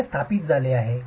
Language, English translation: Marathi, So, this is established